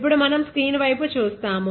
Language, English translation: Telugu, Now, we will be looking at the screen